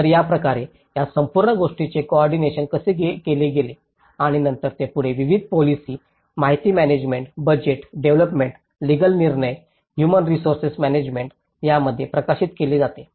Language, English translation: Marathi, So, this is how this whole thing was coordinated and then it is further branched out in various policy, information management, budget, development, legal decisions, HR management